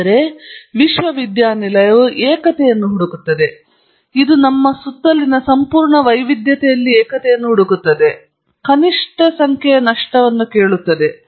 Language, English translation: Kannada, Whereas, the university seeks unity, it asks what is the minimum number of loss on the basis of which I can describe the entire diversity around us